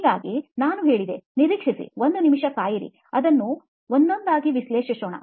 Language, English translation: Kannada, So I said, wait wait wait wait wait a minute, let’s analyse it one by one